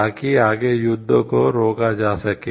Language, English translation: Hindi, So, that the and preventing further war